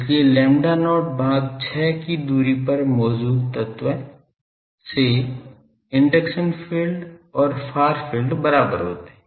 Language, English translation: Hindi, So, at a distance from the current element at a distance of lambda not by 6, the induction field and the far field they are being equal